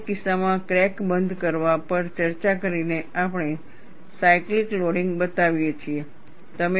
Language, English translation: Gujarati, In every case, discussing on crack closure, we show the cyclical loading